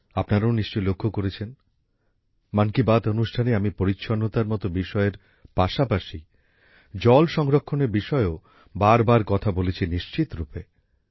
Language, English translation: Bengali, You must have also noticed that in 'Mann Ki Baat', I do talk about water conservation again and again along with topics like cleanliness